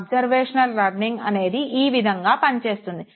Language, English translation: Telugu, And this is how observational learning works